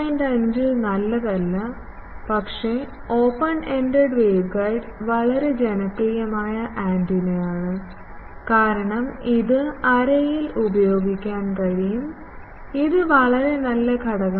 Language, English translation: Malayalam, 5 is not good, but open ended waveguide is a very popular antenna, because in arrays it can be used in array, it is a very good element